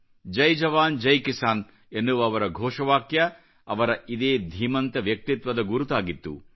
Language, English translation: Kannada, His slogan "Jai Jawan, Jai Kisan" is the hall mark of his grand personality